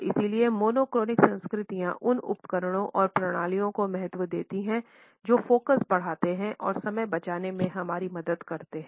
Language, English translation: Hindi, And therefore, monochronic cultures value those tools and systems which increase focus and help us in saving time